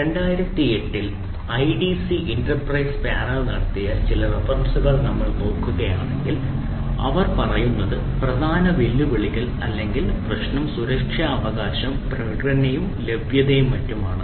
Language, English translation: Malayalam, if we look some references that idc, inter price panel in two thousand eight, they say that the major ah challenges or issue is the security, right, then the performance, then availability and so and so forth